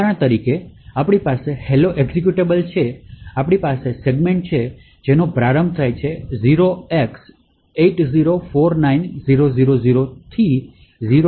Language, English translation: Gujarati, So, for example we have in the hello executable, we have segments which starts at 0x8049000 to 0x804a000